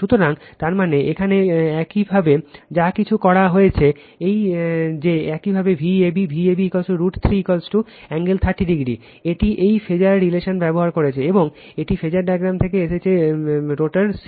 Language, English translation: Bengali, So, that means, whatever you did here that your V a b, V a b is equal to root 3 V p angle 30 degree, this is using this phasor relationship and this is from the phasor diagram is rotor c right